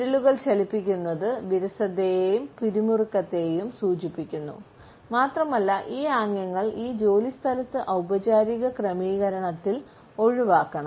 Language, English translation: Malayalam, Fidgeting fingers also indicate boredom and tension and these gestures should be avoided particularly in a workplace in a formal setting